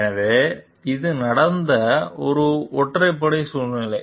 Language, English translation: Tamil, So, this is just one odd situation where it has happened